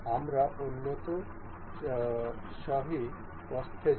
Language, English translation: Bengali, We will go to advanced mate width